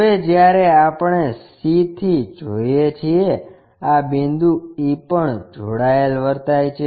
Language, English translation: Gujarati, Now, when we are looking from c this point e is connected